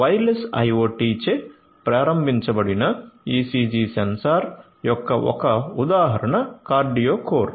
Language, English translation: Telugu, So, one example of a wireless IoT enabled ECG sensor is QardioCore